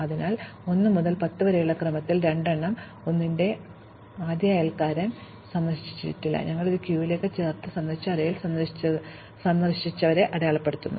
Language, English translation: Malayalam, So, 2 is the first in order of 1 to 10, first neighbor of 1, it has not been visited, so we add it to the queue and mark 2 as visited in the visited array